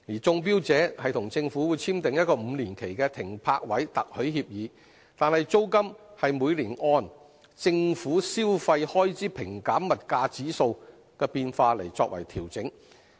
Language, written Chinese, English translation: Cantonese, 中標者與政府簽訂5年期的《停泊位特許協議》，但租金是每年按"政府消費開支平減物價指數"的變化調整。, Successful bidders have to sign a five - year Berth Licence Agreement with the Government but the charge for using PCWA berths will be adjusted every year in accordance with the movement of the Government Consumption Expenditure Deflator GCED